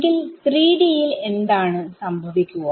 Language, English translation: Malayalam, So, can you guess in 3D what will happen